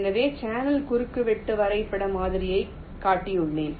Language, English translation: Tamil, so i have shown the channel intersection graph model